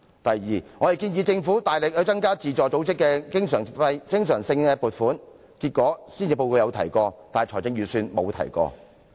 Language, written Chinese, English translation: Cantonese, 第二，我們建議政府大力增加對自助組織的經常撥款，結果施政報告有提及此事，但預算案沒有。, Second we proposed that the Government greatly increase the recurrent funding for self - help organizations . In the end this matter was mentioned in the Policy Address but not the Budget